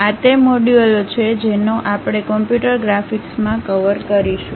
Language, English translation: Gujarati, These are the modules what we will cover in computer graphics